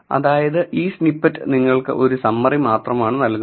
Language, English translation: Malayalam, So, this snippet gives you a just at the summary